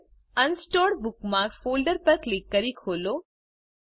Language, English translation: Gujarati, Next, click on and open the Unsorted Bookmarks folder